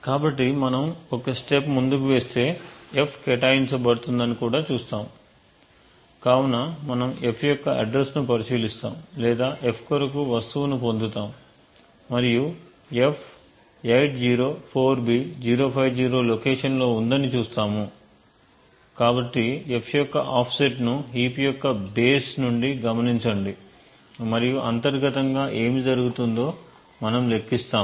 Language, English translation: Telugu, see that the f would get allocated, so we look at the address of f or to obtain the thing for f and we would see that f is at a location 804b050, so note the offset of f from the base of the heap and we will compute actually what happens internally